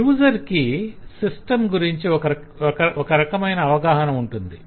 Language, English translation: Telugu, so the user has certain view of the system